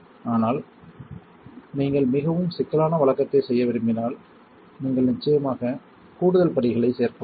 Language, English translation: Tamil, But if you want to do a more complicated routine you can definitely add more steps